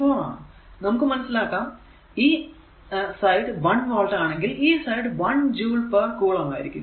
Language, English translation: Malayalam, 4 it is evident that 1 volt is equal to if it is this side is 1 volt it will be 1 joule per coulomb